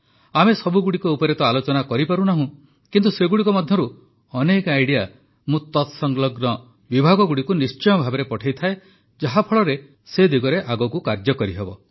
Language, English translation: Odia, We are not able to discuss all of them, but I do send many of them to related departments so that further work can be done on them